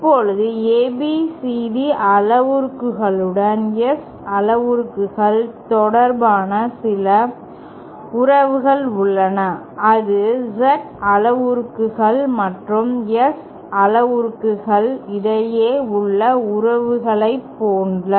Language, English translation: Tamil, Now, there are some relations relating the S parameters to the ABCD parameters as well just like the relations we have between the Z parameters and the S parameters